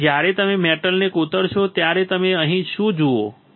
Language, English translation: Gujarati, So, when you etch the metal what you see here